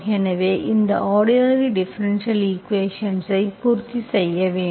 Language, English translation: Tamil, So mu should satisfy this ordinary differential equation